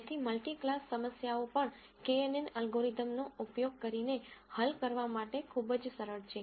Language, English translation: Gujarati, So, multi class problems are also very very easy to solve using kNN algorithm